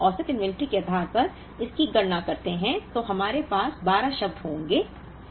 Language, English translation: Hindi, Now, when we compute it based on average inventory we will have 12 terms